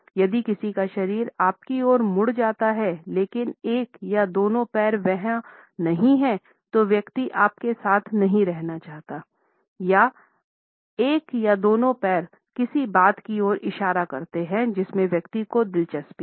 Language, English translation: Hindi, If someone’s body is turned towards you, but one or both feet are not the person does not want to be with you; one or both feet point at something the person is interested in